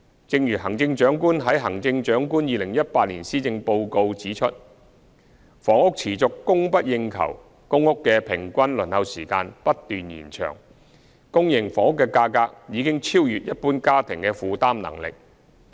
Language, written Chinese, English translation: Cantonese, 正如行政長官在施政報告指出，房屋持續供不應求，公共租住房屋的平均輪候時間不斷延長，私營房屋的價格已超越一般家庭的負擔能力。, As indicated by the Chief Executive in the Policy Address with the persistent imbalance in housing demand and supply the average waiting time for public rental housing PRH has lengthened and prices of private housing are well beyond the affordability of ordinary families